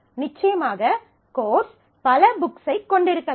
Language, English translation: Tamil, So, course can have multiple books